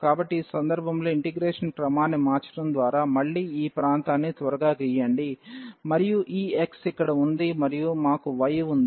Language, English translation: Telugu, So, changing the order of integration in this case again let us quickly draw the region, and we have this x here and we have y